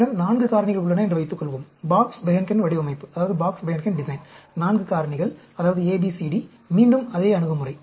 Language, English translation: Tamil, Suppose, we have 4 factors, the Box Behnken Design, 4 factors namely A, B, C, D, again, the same approach